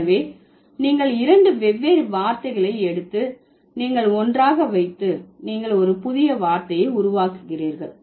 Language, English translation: Tamil, So, you are taking two different words and you are putting them together and you are creating a new word